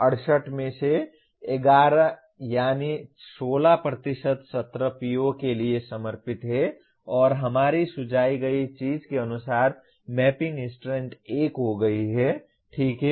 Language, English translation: Hindi, Out of that 11 out of 68 that is 16% of the sessions are devoted to PO1 and as per our suggested thing mapping strength becomes 1, okay